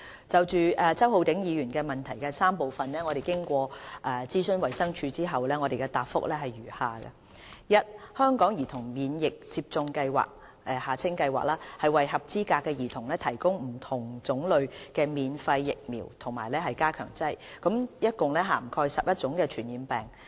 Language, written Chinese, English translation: Cantonese, 就周浩鼎議員質詢的3部分，經諮詢衞生署後，謹答覆如下：一香港兒童免疫接種計劃為合資格的兒童提供不同種類及免費的疫苗和加強劑，共涵蓋11種傳染病。, Having consulted the Department of Health DH I now give a reply to the three parts of the question by Mr Holden CHOW as follows 1 Eligible children will receive different types of free vaccines and boosters under the Hong Kong Childhood Immunisation Programme HKCIP for the prevention of 11 types of infectious diseases